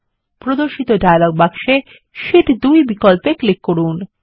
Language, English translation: Bengali, In the dialog box which appears, click on the Sheet 2 option